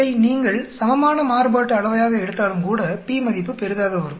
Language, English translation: Tamil, Even if you take it as equal variance, p value will come out to be large